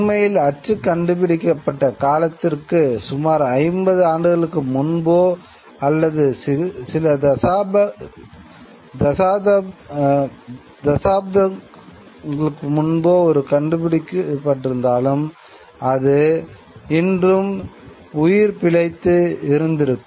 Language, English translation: Tamil, In fact, print could have been discovered maybe about 50 years before the time when it was discovered or maybe a few decades before the time when it is discovered and it would still have had survived